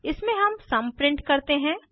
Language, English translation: Hindi, In this we print the sum